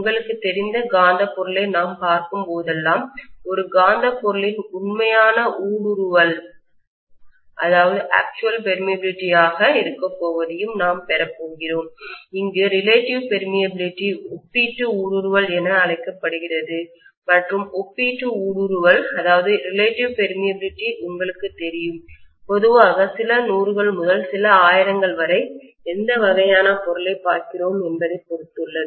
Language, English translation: Tamil, Whenever we are looking at any other you know magnetic material, we are going to have the actual permeability of a magnetic material to be mu naught into mu R, where mu R is known as the relative permeability and the relative permeability is going to be generally, you know, a few hundreds to few thousands depending upon what kind of material I am looking at